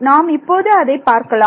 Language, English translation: Tamil, So, let us see what happens here